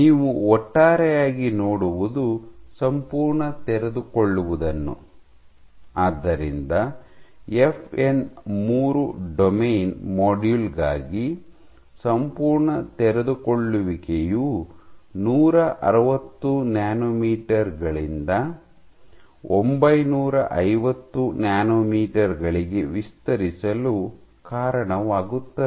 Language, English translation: Kannada, So, what you see over all is that the complete unfolding, so for FN 3 domain module, so complete unfolding would lead to extension from 160 nanometers to 950 nanometers